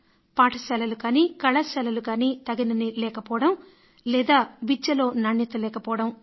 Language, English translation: Telugu, Either the required amount of schools and colleges are not there or else the quality in education is lacking